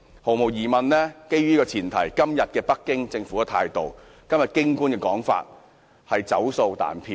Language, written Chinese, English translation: Cantonese, 毫無疑問，基於這個前提，今天北京政府的態度和京官的說法，是"走數彈票"。, In the light of this there is no doubt that the Beijing Governments attitude today and what the Beijing officials said recently are contrary to and inconsistent with their promises